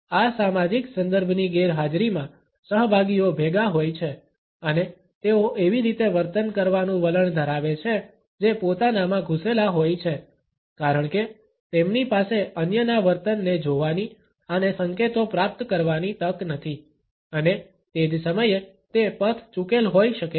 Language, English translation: Gujarati, In the absence of this social context, participants are de individualized and they tend to behave in ways which are rather self obsessed because they do not have the opportunity to look at the behaviour of others and receiving the cues and at the same time it can be aberrant